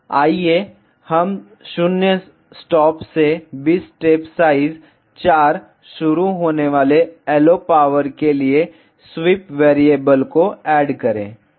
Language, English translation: Hindi, let us add a sweep variable for the LO power starting from 0 stop to 20 step size 4 ok